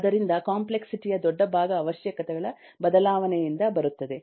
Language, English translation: Kannada, so one complexity, big part of complexity, come from the change of requirements